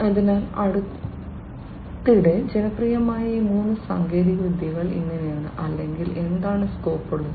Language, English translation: Malayalam, So, this is how these three you know recently popular technologies have become or what is what is what is there scope